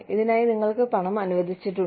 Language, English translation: Malayalam, You have money, allocated for this purpose